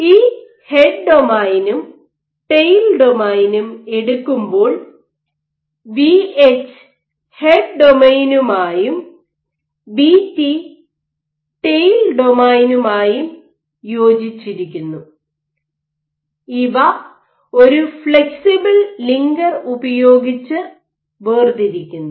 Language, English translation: Malayalam, These head and tail let us a Vh corresponds to the head domain and Vt corresponds to the tail domain and they are separated by a flexible linker